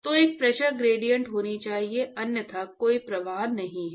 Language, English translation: Hindi, So there has to be a Pressure gradient otherwise there is no flow right